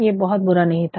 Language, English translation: Hindi, It was not very bad, it was not very bad